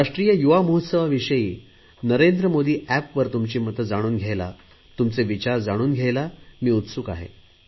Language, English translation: Marathi, So I will wait dear friends for your suggestions on the youth festival on the "Narendra Modi App"